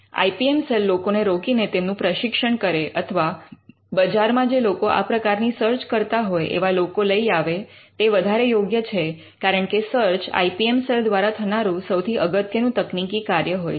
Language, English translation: Gujarati, It is preferable that the IPM cell employees’ people and trains them or finds people who are trying to do search in the market because, search is going to be there biggest technical activity that they will be doing